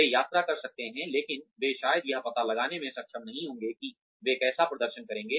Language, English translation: Hindi, They may visit, but they will probably, not be able to find out, how they will perform